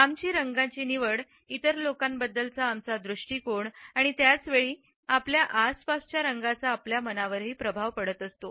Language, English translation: Marathi, Our choice of color suggests our attitudes to other people and at the same time the choice of color in our surroundings influences our moods also